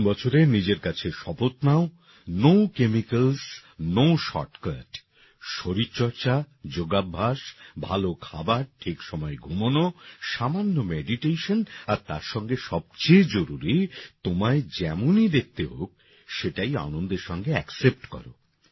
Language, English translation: Bengali, In this New Year, promise yourself… no chemicals, no shortcut exercise, yoga, good food, sleeping on time, some meditation and most importantly, happily accept the way you look